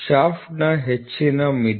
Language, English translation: Kannada, Higher limit of Shaft, ok